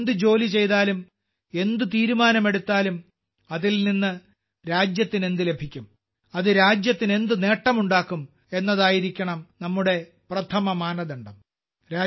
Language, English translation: Malayalam, Whatever work we do, whatever decision we make, our first criterion should be… what the country will get from it; what benefit it will bring to the country